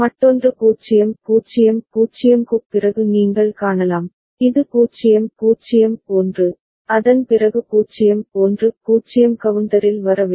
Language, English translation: Tamil, Another is what you can see after 0 0 0, this is 0 0 1, after that 0 1 0 is supposed to come in up counter